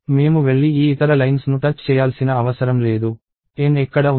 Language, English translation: Telugu, I do not have to go and touch these other lines; where is the N